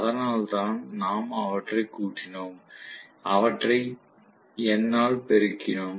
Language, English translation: Tamil, That is why we added them, simply multiplied them by N